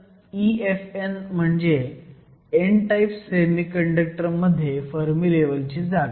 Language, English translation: Marathi, So, E Fn refers to the Fermi level position in the n type semiconductor